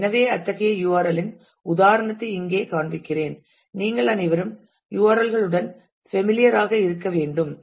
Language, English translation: Tamil, So, here I am showing an example of such a URL all of you be familiar with URLs